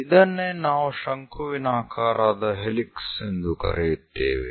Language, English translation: Kannada, So, this is what we call conical helix